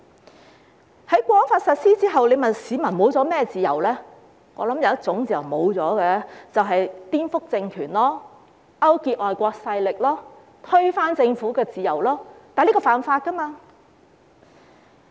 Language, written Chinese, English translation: Cantonese, 在《香港國安法》實施後，如果問市民失去了甚麼自由，我想有一種自由失去了，便是顛覆政權、勾結外國勢力、推翻政府的自由，但這是犯法的。, After the implementation of the Hong Kong National Security Law if one asks what freedoms people have lost I think one freedom has been lost namely the freedom to subvert the regime collude with foreign forces and overthrow the government but this is against the law